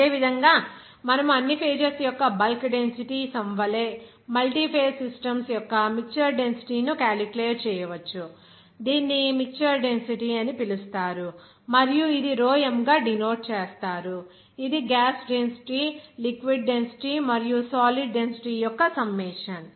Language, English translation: Telugu, Similarly, you can actually calculate the mixture density of the multiphase systems like the sum of the bulk density for all the phases will be called as mixture density and it will be denoted by rho m that will be a summation of actual gas density, actual liquid density and actual solid density